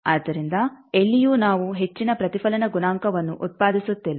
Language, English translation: Kannada, So, that nowhere we are generating a high reflection coefficient